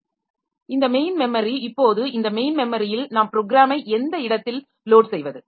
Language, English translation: Tamil, Now, this main memory where exactly we load the program